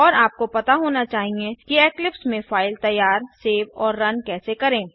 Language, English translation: Hindi, And you must know how to create, save and run a file in Eclipse